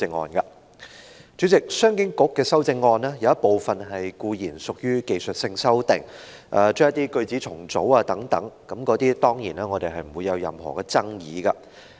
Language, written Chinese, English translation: Cantonese, 主席，商務及經濟發展局局長的修正案，有一部分固然屬於技術性修訂，將一些句子重組等，我們對此當然沒有爭議。, Chairman among the amendments of the Secretary for Commerce and Economic Development some are undoubtedly technical amendments that involve for example paraphrasing and we certainly have no disagreement over them